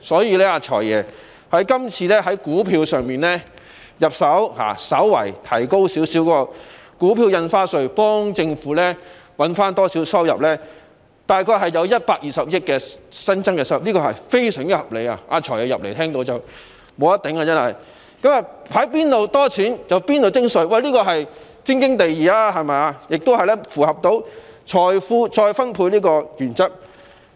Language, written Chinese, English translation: Cantonese, 因此，"財爺"今次從股票市場入手，稍為提高股票印花稅，為政府增加少許收入，大約有120億元新增稅收，實在是非常合理的——"財爺"剛返回會議廳聽到我的發言，這項措施真是"無得頂"——從資金充裕的市場徵稅，固然是天經地義，亦符合財富再分配的原則。, Therefore the Financial Secretary FS has targeted at the stock market this time and slightly raised the Stamp Duty to generate additional government revenues ie . additional stamp duty of about 12 billion which is very reasonable―FS has just returned to the Chamber to listen to my speech; this measure is really superb―it is highly justified to impose tax on a well - funded market and it also complies with the principle of wealth redistribution